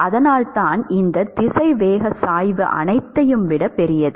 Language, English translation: Tamil, And that is why this velocity gradient is larger than all of these